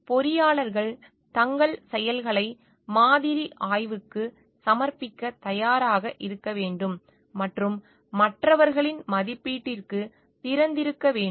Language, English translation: Tamil, Engineers should be ready to submit their actions to model scrutiny and be open to assessment from others